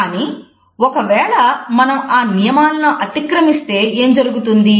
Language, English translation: Telugu, But what happens when you break those rules